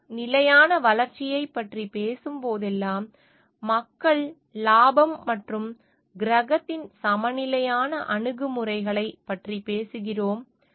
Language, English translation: Tamil, Whenever we are talking of sustainable development, we are talking of the balanced approach of people profit and planet